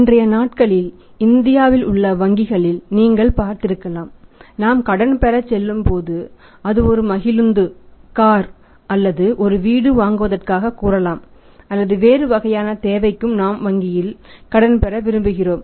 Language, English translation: Tamil, You might have been seeing the these days also the banks in India they also work out some score that when we go to seek the credit maybe for say constructing a house buying a car or maybe any other kind of the loan we want to take from the bank